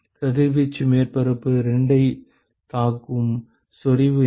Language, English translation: Tamil, What will be the intensity with which the radiation will hit surface 2